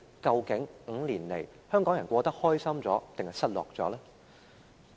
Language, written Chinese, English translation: Cantonese, 究竟這5年來，香港人生活得比較開心，還是比較失落呢？, In these five years did the people of Hong Kong actually feel happier or more disappointed in their lives?